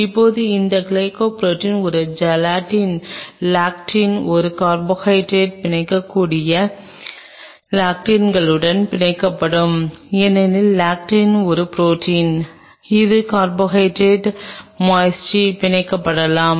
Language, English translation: Tamil, Now these glycoproteins will bind to the lectins which are present a lectin can bind to a carbohydrate because lectin is a protein which could bind to the carbohydrate moiety